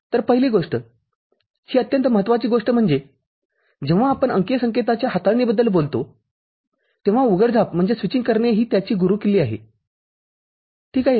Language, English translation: Marathi, So, first thing, that is very important thing is that when we talk about manipulation of digital signal, switching is the key to it – ok